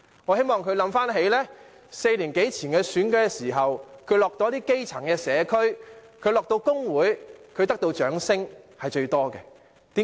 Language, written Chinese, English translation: Cantonese, 我希望他想起他4年多前參選時，到訪基層社區及工會，得到的掌聲最多，為甚麼？, I hope he would recall the fact that he received the most applause when he visited the grass - roots communities and trade unions during his election campaign some four years ago . Why?